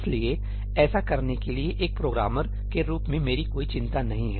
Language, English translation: Hindi, So, that is never my intension as a programmer, to do that